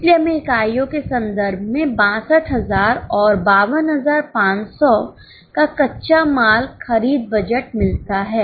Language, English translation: Hindi, So, we get raw material purchase budget of 62,000 and 52,500 in terms of units